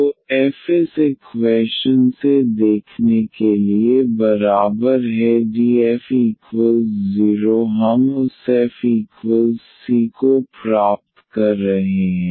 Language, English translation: Hindi, So, f is equal to see from this equation df is equal to 0 we are getting that f is equal to c